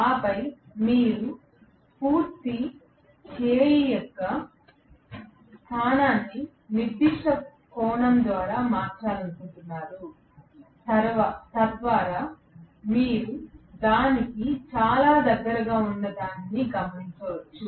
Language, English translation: Telugu, And then you want to probably change the position of the complete arm by certain angle, so that you observe something which is very close to that